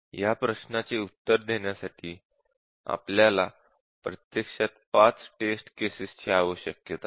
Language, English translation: Marathi, So, to answer this question, we need actually 5 test cases